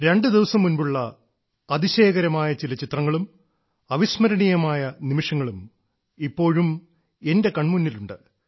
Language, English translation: Malayalam, A few amazing pictures taken a couple of days ago, some memorable moments are still there in front of my eyes